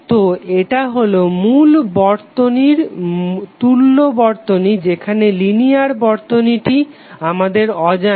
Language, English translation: Bengali, So this would be the equivalent circuit of your the original circuit where the linear circuit is not known to us